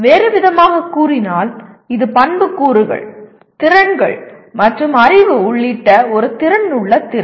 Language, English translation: Tamil, In another words it is an affective ability including attributes, skills and knowledge